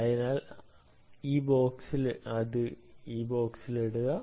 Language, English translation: Malayalam, so put it on this box